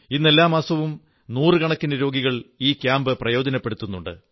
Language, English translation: Malayalam, Every month, hundreds of poor patients are benefitting from these camps